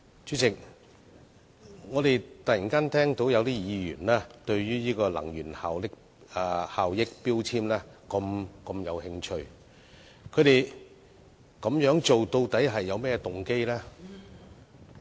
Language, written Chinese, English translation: Cantonese, 主席，我們突然聽到有議員對能源標籤如此有興趣，究竟有何動機呢？, President we suddenly heard certain Members express a keen interests in energy labels . What is their motive?